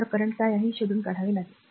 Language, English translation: Marathi, So, you have to find out that what is the current